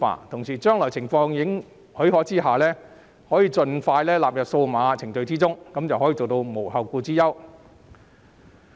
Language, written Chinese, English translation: Cantonese, 同時，在將來情況許可的情況下，可以盡快納入數碼程序中，做到無後顧之憂。, In addition if possible all administration processes should go digital in future to tie the loose end